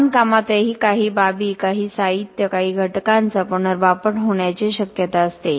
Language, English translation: Marathi, Even in construction there is a possibility of reusing some aspects some materials some elements